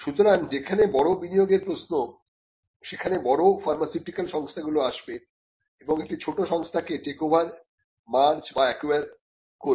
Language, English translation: Bengali, So, where the big investment comes that is the point at which the bigger pharmaceutical firms will come and take over or merge or acquire a smaller company